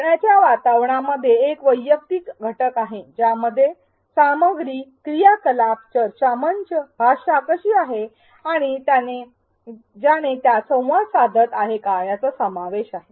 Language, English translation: Marathi, There is a personalized element personalization element between the learning environment which includes the content the activities the discussion forums, the way the language is and the learner who is interacting with it